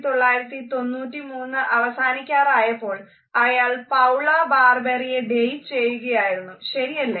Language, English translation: Malayalam, At the end of the year of 1993 he was dating Paula Barbieri